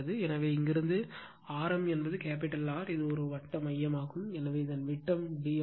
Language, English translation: Tamil, So, from here to your mean radius is capital R right, and this is the core circular core, so it is diameter is d right